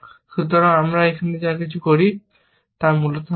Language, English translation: Bengali, So, everything that we do here will be sound, essentially